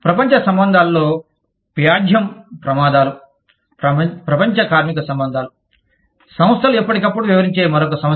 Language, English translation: Telugu, Litigation risks in global relations, global labor relations, are another issue, that organizations deal with, from time to time